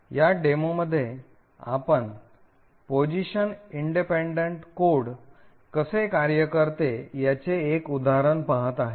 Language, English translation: Marathi, In this demo will be actually looking at an example of how Position Independent Code works